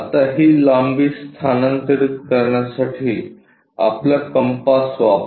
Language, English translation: Marathi, Now, use our compass to transfer this length